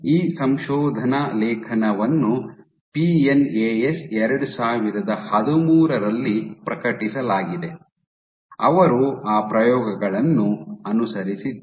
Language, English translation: Kannada, So, this paper was published in PNAS 2013, they have a more recent they have followed up on those experiments ok